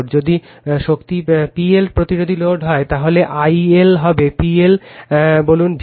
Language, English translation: Bengali, If power is the P L resistive load, then I L will be simply P L upon say V L right